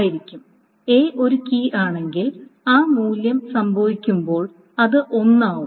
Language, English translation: Malayalam, Because if A is a key, if that value occurs, X occurs, then it is one